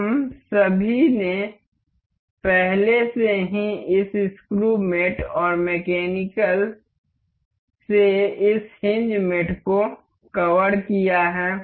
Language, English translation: Hindi, We all we have already have covered this screw mate and this hinge mate from mechanical